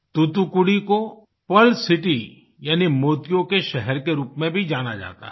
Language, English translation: Hindi, Thoothukudi is also known as the Pearl City